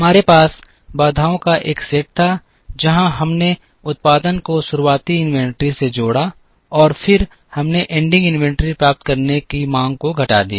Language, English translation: Hindi, We had one set of constraints where, we added the production to the beginning inventory, and then we subtracted the demand to get the ending inventory